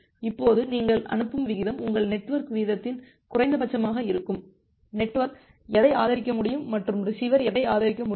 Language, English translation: Tamil, Now you are sending rate will be the minimum of your network rate, what the network can support and what the receiver can support